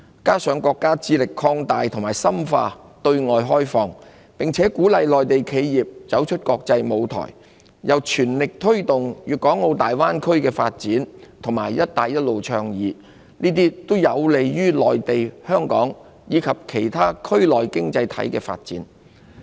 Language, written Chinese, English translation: Cantonese, 此外，國家致力擴大和深化對外開放，鼓勵內地企業走出國際舞台，並全力推動粵港澳大灣區發展及"一帶一路"倡議，這些均有利於內地、香港及其他區內經濟體的發展。, In addition the State strives to expand and deepen our countrys opening up to the outside world encourage Mainland enterprises to spread their wings in the international arena and spare no effort to promote the Guangdong - Hong Kong - Macao Greater Bay Area development and the Belt and Road Initiative . All this is conducive to the development of the Mainland Hong Kong and other economies in the region